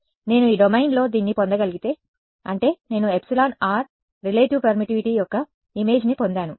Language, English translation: Telugu, If I am able to get this in this domain; that means, I have got an image of epsilon r relative permittivity